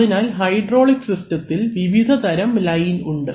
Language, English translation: Malayalam, So, there are various kinds of lines which are used in a hydraulic system